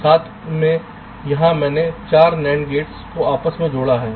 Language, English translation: Hindi, here i have shown four nand gates interconnected together